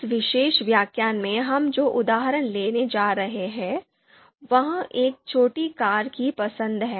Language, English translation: Hindi, The example that we are going to take in this particular lecture is choice of a small car